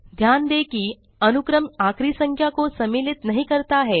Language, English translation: Hindi, Note that the sequence does not include the ending number